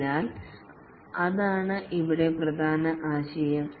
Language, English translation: Malayalam, So, that's the main idea here